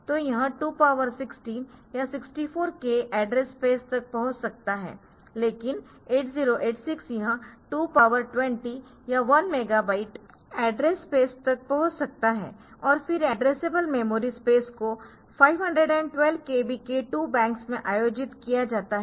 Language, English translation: Hindi, So, it could access to 2 power 16 or 64 k address bus, but this can access to 2 power 20 or 1 megabyte of address space and then addressable memory space is organized in 2 banks of 512 kb each